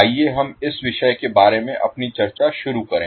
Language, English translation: Hindi, So let us start our discussion about the topic